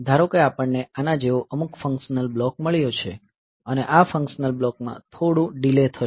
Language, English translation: Gujarati, Suppose, we have got some functional block like this and this functional block it will have some delay